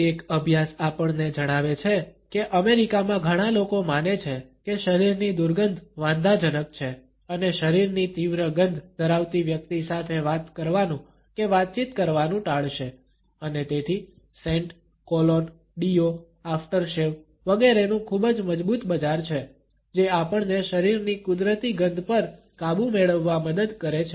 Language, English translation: Gujarati, A study tell us that in America many people consider that the body odor is offensive and would avoid talking or interacting with a person who has strong body smells and therefore, there is a very strong market of scents, colognes, deo’s, aftershaves etcetera which helps us to overpower the natural body odors